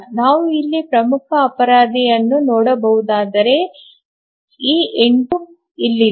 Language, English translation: Kannada, If you can see the major culprit here is this 8 here